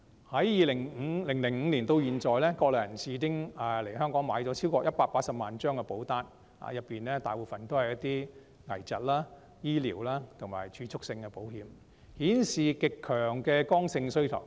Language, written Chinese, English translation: Cantonese, 由2005年至今，國內人士已經來港購買超過180萬張保單，當中大部分是一些危疾、醫療及儲蓄性的保險，顯示極強的剛性需求。, Since 2005 Mainlanders have taken out more than 1 800 000 insurance policies in Hong Kong most of which are critical illnesses medical and savings plans showing an extremely strong and rigid demand